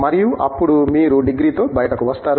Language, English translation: Telugu, And, then you come out with the degree